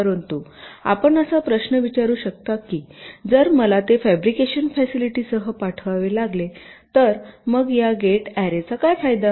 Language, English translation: Marathi, but you may ask the question that will: if i have to sent it with the fabrication facility, then what is the advantage of having this gate array